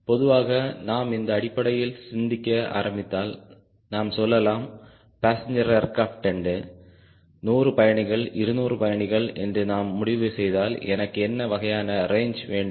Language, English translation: Tamil, typically, if we start thinking in terms of, lets say, passenger aircraft and we decide, maybe hundred passengers, two hundred passengers, we have an idea what sort of a range i want, what sort of a speed i want